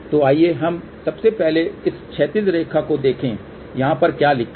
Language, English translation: Hindi, So, let us see first of all this horizontal line what is written over here